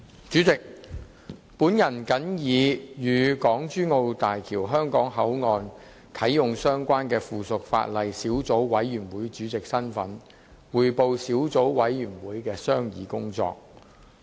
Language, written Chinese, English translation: Cantonese, 主席，我謹以與港珠澳大橋香港口岸的啟用相關的附屬法例小組委員會主席身份匯報小組委員會的商議工作。, President in my capacity as Chairman of the Subcommittee on Subsidiary Legislation Relating to the Commissioning of the Hong Kong - Zhuhai - Macao Bridge Hong Kong Port I report on the deliberations of the Subcommittee